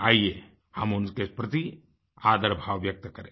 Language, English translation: Hindi, Come on, let us express our gratitude towards them